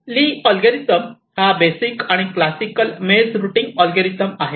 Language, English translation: Marathi, so lees algorithm is the most basic and the classical maze routing algorithm